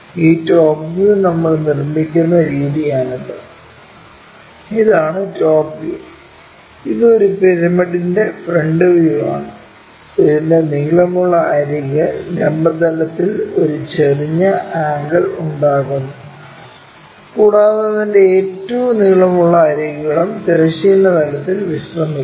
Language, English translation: Malayalam, This is the way we construct this top, this is the top view and this is the front view of a pyramid whose longer edge is making an inclined angle with the vertical plane and is longest edges resting on the horizontal plane also